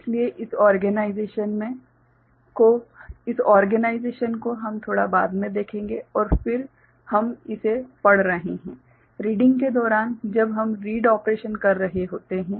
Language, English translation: Hindi, So, this organization we shall see little later and then we are reading it; during the reading when we are doing the read operation